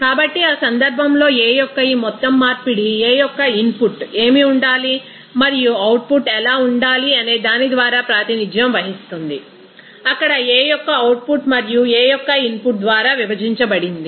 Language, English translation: Telugu, So, in that case this overall conversion of the A would be represented by what should the input of A and what should be the output A output of A there and divided by input of A